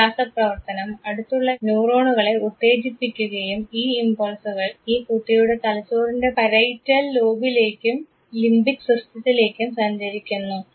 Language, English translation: Malayalam, This chemical interaction triggers adjacent neurons and these impulses travel to the parietal lobe and limbic system of the brain of this boy